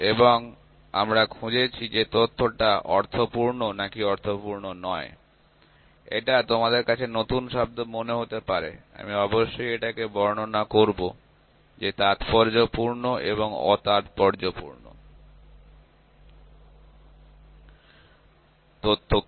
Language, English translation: Bengali, And we have found that the data is significant or not significant; this might be in new terms for some of you, I will definitely explain what is significant and what is not significant data